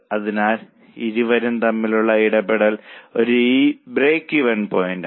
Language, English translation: Malayalam, So, the point of interaction between the two is a break even point